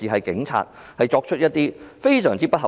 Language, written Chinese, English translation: Cantonese, 警方作出的要求非常不合理。, The requests made by the Police are highly unreasonable